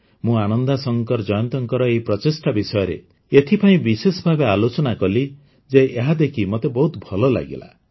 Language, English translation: Odia, I specifically mentioned this effort of Ananda Shankar Jayant because I felt very happy to see how the good deeds of the countrymen are inspiring others too